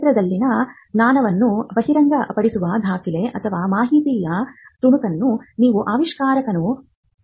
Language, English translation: Kannada, You could ideally ask the inventor for a document or a piece of information which discloses the knowledge in the field